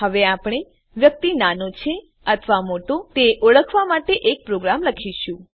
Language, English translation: Gujarati, we will now write a program to identify whether the person is Minor or Major